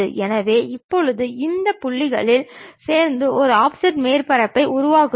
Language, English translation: Tamil, So, now, join those points construct an offset surface